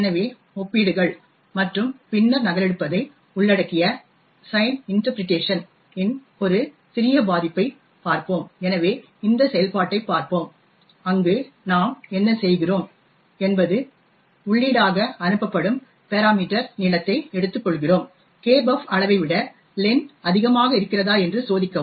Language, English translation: Tamil, So, let us look at a small vulnerability with sign interpretation that involve comparisons and then copying, so let us take a look at this function where what we do is we take the parameter length which is passed as input, check whether len is greater than size of kbuf